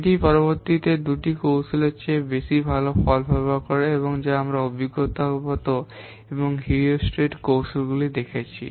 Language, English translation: Bengali, It performs better results than the previous two techniques we have seen empirical and heuristic techniques